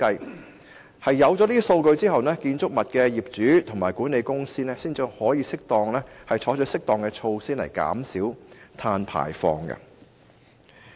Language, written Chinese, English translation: Cantonese, 在取得有關數據後，建築物的業主和管理公司才可以採取適當措施減少碳排放。, After obtaining the relevant data building owners and management companies can then take appropriate steps to reduce carbon emission